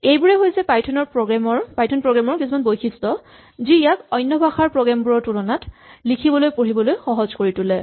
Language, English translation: Assamese, These are all features that make python programs a little easier to read and write then programs in other languages